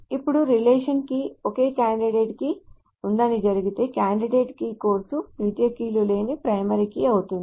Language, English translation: Telugu, Now if it happens that a relation has a single candidate key, that candidate is of course a primary key with no secondary keys